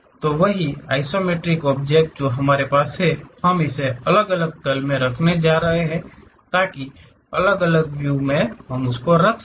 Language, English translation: Hindi, So, the same isometric object what we have it; we are going to have it in different plane, so that we will be having different views